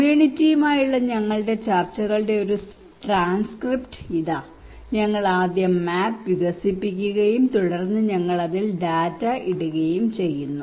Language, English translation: Malayalam, Here is a transcript of our discussions with the community we develop the map first and then we put the data into it